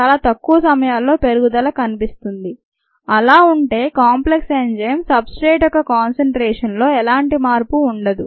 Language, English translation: Telugu, at very small times there is an increase and then there is no change in the concentration of the enzyme substrate complex